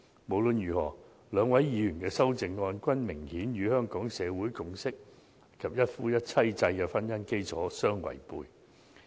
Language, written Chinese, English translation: Cantonese, 無論如何，兩位議員的修正案，均明顯與香港社會共識及一夫一妻制的婚姻基礎相違背。, In any case the amendments of the two Members are evidently contrary to the consensus of our society and the monogamous marriage system in Hong Kong